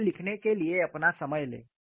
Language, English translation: Hindi, Take your time to write this down